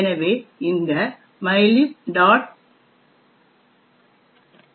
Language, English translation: Tamil, The library is call libmylib